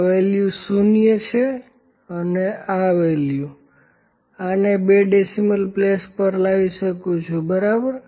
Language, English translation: Gujarati, This value is there this value is 0, and this value I can this bring it to the second place of decimal, ok